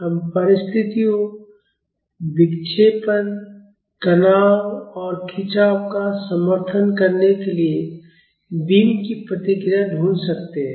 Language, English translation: Hindi, We can find the responses of the beam to support conditions, deflections, stresses and strains